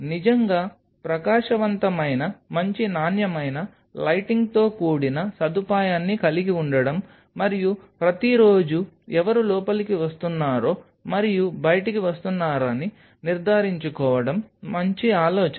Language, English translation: Telugu, It is a good idea to have a facility with really bright good quality lighting and everyday ensure the whosever is coming in and out